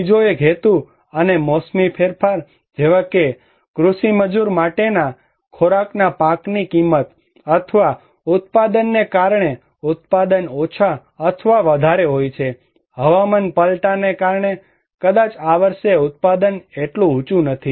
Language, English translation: Gujarati, Another one is the seasonality and seasonal shift in price like the price of the crops of the food for the agricultural labor or the productions because of production is low or high, because of climate change maybe the production is not so high this year